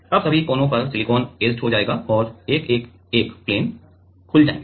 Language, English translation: Hindi, Now all the sides silicon will get etched and 111 planes will get opened up